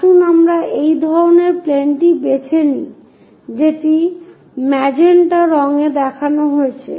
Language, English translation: Bengali, Let us pick such kind of plane as this one, the one which is shown in magenta colour